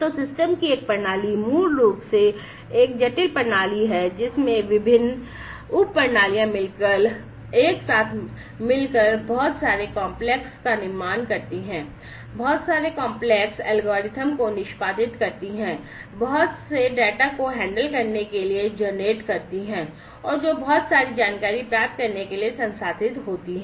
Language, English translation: Hindi, So, a system of systems is basically a complex system consisting of different, different subsystems together working together generating lot of complex, you know, executing lot of complex algorithm, generating lot of data handling to be handled, and processed to get lot of insights about what is going on down underneath